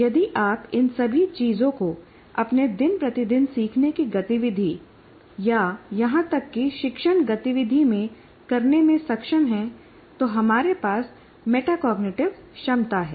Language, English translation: Hindi, So if you are able to do all these things in your day to day learning activity or even teaching activity, then we have that metacognitive ability